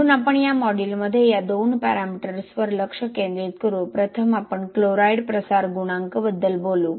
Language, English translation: Marathi, So those two we are not going to focus on but we will focus on these two parameters in this module so first we will talk about chloride diffusion coefficient